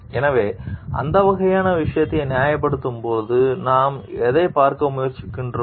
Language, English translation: Tamil, So, what we try to see like, when we are justifying this type of things